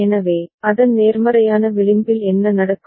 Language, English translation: Tamil, So, at its positive edge what will happen